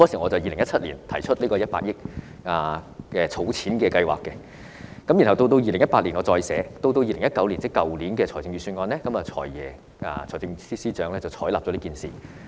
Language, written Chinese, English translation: Cantonese, 我在2017年提出這項100億元的儲蓄計劃，然後到2018年我再次提出，到2019年，即去年的預算案，財政司司長便採納了這項建議。, I put forward this 10 billion savings plan in 2017 and proposed it again in 2018 the Financial Secretary finally adopted my proposal in 2019 ie . in last years Budget